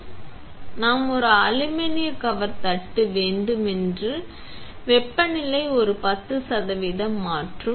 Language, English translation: Tamil, So, we have an aluminum cover plate that is changing the temperature by a 10 percent